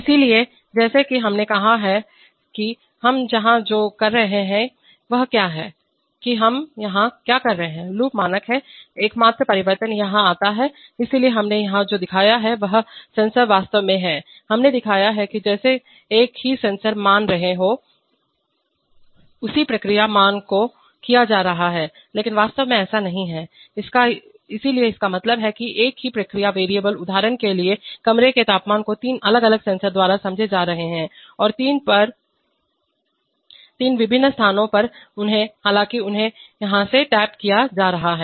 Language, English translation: Hindi, So as we as we said that what we are doing here is that, we are just, what are we doing the, the loop is standard, the only change comes here, so what we have shown here is that the same sensor the, actually we have shown that as if the same sensor values are being, the same process values are being fed but actually that is not, so this means that the same process variable, for example room temperature are being sensed by three different sensors which are at three different locations, so therefore although they are being tapped from here